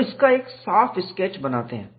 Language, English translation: Hindi, So, make a neat sketch of it